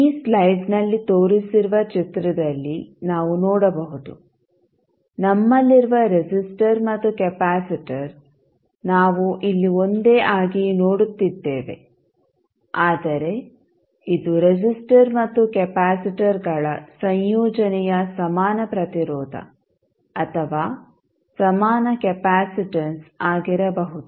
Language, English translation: Kannada, So now, we will see that the figure which is shown in this slide the resistor and capacitor we have, we are seeing here as a single one, but it can be equivalent resistance or equivalent capacitance of the combination of resistors and capacitor